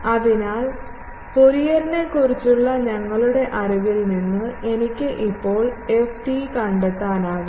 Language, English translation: Malayalam, So, from our knowledge of Fourier transform, I can now find ft